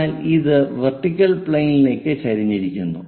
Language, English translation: Malayalam, So, this is what we call vertical plane